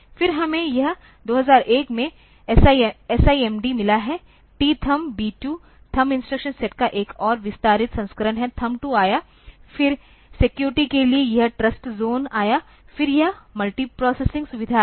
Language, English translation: Hindi, Then, we have got this 2001 SIMD, Thumb 2, is another extended version of thumb instruction set, thumb 2 came, then for security this trust zone came, then this multiprocessing facilities came